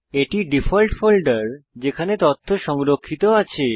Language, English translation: Bengali, This is the default folder in which the document is saved